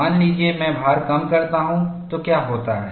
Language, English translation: Hindi, Suppose, I reduce the load, what happens